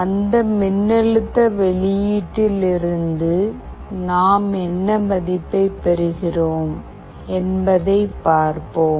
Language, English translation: Tamil, We will see that what value we are getting from that voltage output